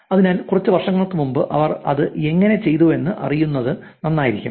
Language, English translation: Malayalam, So, it'll be nice to actually know how they did it some years back